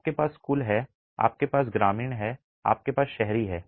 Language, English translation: Hindi, You have total, you have rural and you have urban